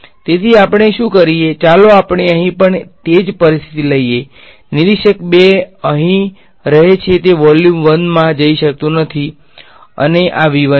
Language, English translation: Gujarati, So, what we do is, let us take the same situation over here observer 2 remains over here cannot walk into volume 1 this is V 2 and this is V 1